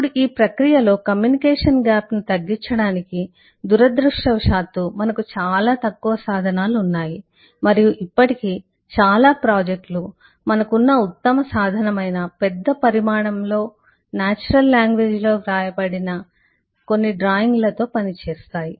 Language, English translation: Telugu, Now, in this process to minimize the communication gap, unfortunately we have very few instruments and most projects till date works with large volume of text written in natural language, with some drawing at the best is all that we have